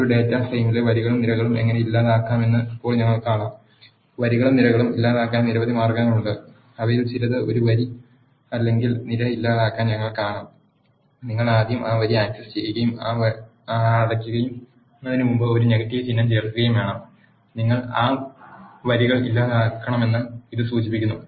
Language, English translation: Malayalam, Now we will see how to delete rows and columns in a data frame there are several ways to delete rows and columns; we will see some of them to delete a row or a column, you need to access that row first and then insert a negative sign before that close, it indicates that you had to delete that rows